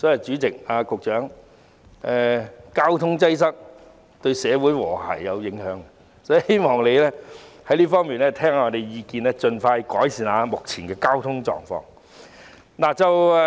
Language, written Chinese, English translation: Cantonese, 主席，交通擠塞對社會和諧有影響，所以我希望局長在這方面聆聽議員的意見，盡快改善目前的交通狀況。, President as traffic congestion has an impact on social harmony I hope that the Secretary will listen to Members opinions in this regard and improve the current traffic situation as soon as possible